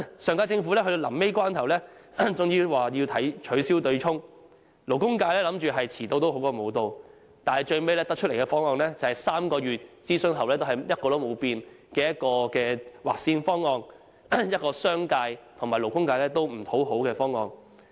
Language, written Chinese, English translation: Cantonese, 上屆政府在最後關頭終於表示取消對沖機制，勞工界以為"遲到好過無到"，但最後提出的方案，是經3個月諮詢後仍一成不變的劃線方案，一個商界和勞工界也不討好的方案。, At the last juncture the previous - term Government eventually stated that the offsetting mechanism would be abolished . The labour sector thought that late would be better than none yet when the proposal was announced the labour sector learnt that it was the same cut - off - date proposal suggested before the three - month consultation . As a result neither the business sector nor the labour sector considers the proposal satisfactory